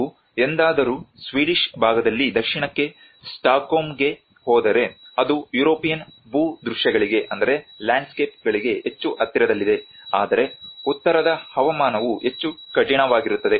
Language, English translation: Kannada, If you ever go to Stockholm up south in the Swedish part, it is much more closer to the European landscapes, but the northern climates are much harsher